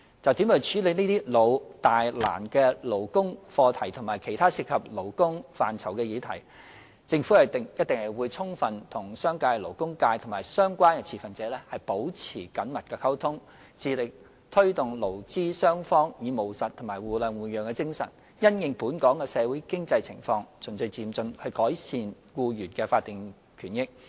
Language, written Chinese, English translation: Cantonese, 就如何處理這些"老、大、難"的勞工課題和其他涉及勞工範疇的議題，政府一定會充分與商界、勞工界及相關持份者保持緊密溝通，致力推動勞資雙方以務實及互諒互讓的精神，因應本港的社會經濟情況，循序漸進地改善僱員的法定權益。, As regards ways to deal with these perennial major and thorny labour problems and other labour - related issues the Government will definitely maintain close communication with the business and labour sectors as well as relevant stakeholders and strive to encourage employees and employers to improve the statutory rights and interests of employees in a gradual and orderly manner and with a pragmatic spirit of mutual understanding and accommodation while having regard to Hong Kongs social and economic conditions